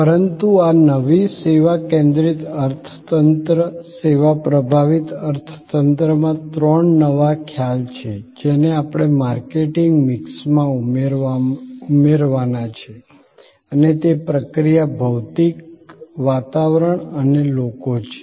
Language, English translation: Gujarati, But, in this new service focused economy, service dominated economy, there are three new concepts that we have to add to the marketing mix and these are process, physical environment and people